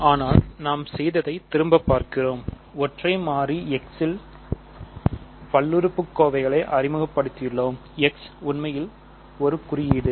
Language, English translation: Tamil, But just to recap what we have done, we have introduced polynomials in a single variable x; x is really a symbol